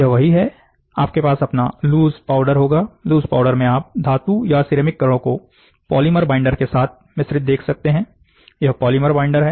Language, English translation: Hindi, So, in the loose powder you can see metal or ceramic particles mixed with a polymer binder, these are polymer binders